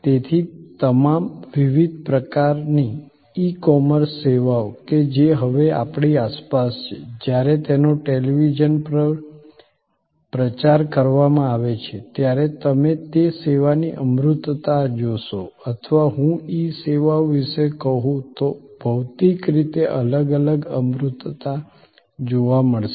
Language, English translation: Gujarati, So, all the different kinds of e commerce services that are now all around us, when they are promoted on the television, you will see the abstractness of that service or the differentiating abstractness I would say of the e services as suppose to physical services are depicted through different episodes